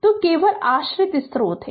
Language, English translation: Hindi, So, only dependent source is there